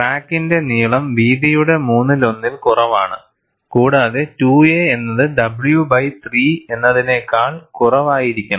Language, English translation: Malayalam, The length of the crack should be less than one third of the width; 2 a is less than w by 3